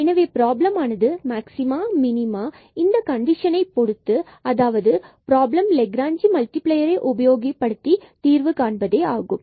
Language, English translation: Tamil, So, the problem is to find the maxima minima subject to this condition and that is the problem which we will solve using the Lagrange multiplier